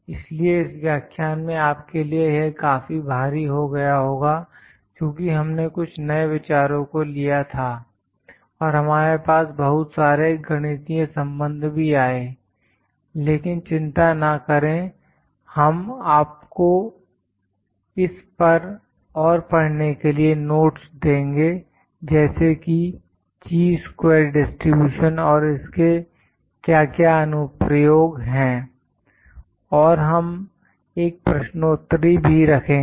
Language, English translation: Hindi, So, in this lecture, it was might be quite heavy for you because we had new concepts and we have many mathematical relations, but do not worry we will provide you with the notes to read more on this like Chi square distribution, what are the various applications and we will put a quiz